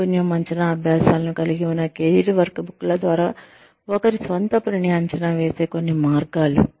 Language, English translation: Telugu, Some ways in which, one can assess, one's own self, is through career workbooks, which includes, skill assessment exercises